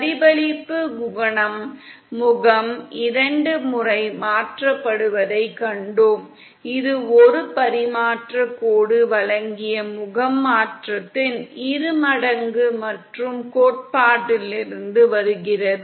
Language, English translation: Tamil, We saw that reflection coefficient is face shifted twice, as twice the amount of face shift provided by a transmission line & so that comes from theory